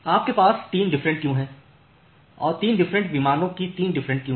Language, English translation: Hindi, So, you have 3 different queues and in that 3 different queues of 3 different plane